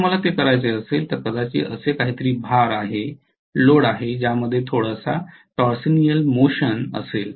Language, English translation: Marathi, If I have to do that maybe there is some kind of load which is going to have a little torsional motion